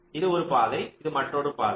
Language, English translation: Tamil, this is one path, this is another path